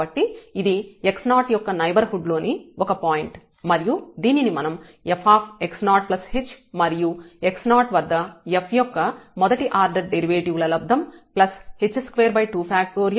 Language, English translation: Telugu, So, this is a point in the neighborhood of 10 x 0 and we can express this as f x 0 plus the h the first order derivative at x 0 h square by factorial 2 the second order derivative and so on